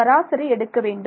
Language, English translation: Tamil, Average it, right